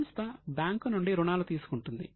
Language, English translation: Telugu, Now, company repay is bank loan